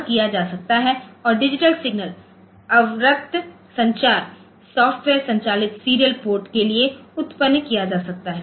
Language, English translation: Hindi, So, that can be done and digital signal generation for infrared communication software driven serial ports